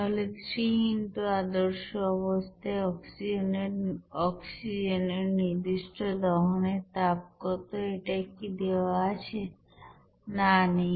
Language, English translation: Bengali, So 3 into what is the specific heat of combustion at standard condition for oxygen it is given or not